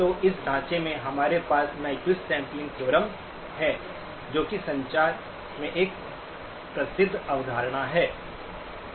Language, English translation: Hindi, So in this framework, we have the Nyquist sampling theorem, again a well known concept in communications